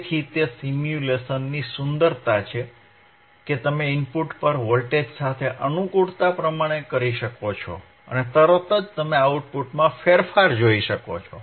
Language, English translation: Gujarati, So, that is the beauty of stimulation, that you can play with the voltage othe at rthe input and immediately you can see the changinge in the output